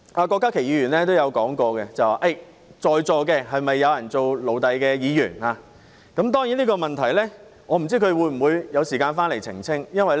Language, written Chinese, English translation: Cantonese, 郭家麒議員剛才問及在座是否有做奴隸的議員，我不知道他有沒有時間回來澄清這個問題。, As Dr KWOK Ka - ki has asked just now whether there are Members present who are slaves I wonder whether he has time to come back to clarify his point